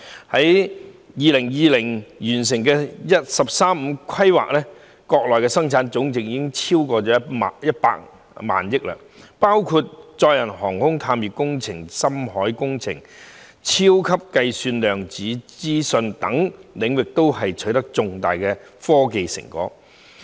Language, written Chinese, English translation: Cantonese, 到了2020年完成"十三五"規劃後，國內生產總值已超過100萬億元，國家在載人航天、探月工程、深海工程、超級計算、量子資訊等領域均取得重大科技成果。, After the completion of the 13th Five - Year Plan in 2020 Chinas gross national product rose to exceed RMB100 trillion . Significant scientific and technological achievements were also made in the fields of manned spaceflight lunar exploration deep - sea projects supercomputing quantum information etc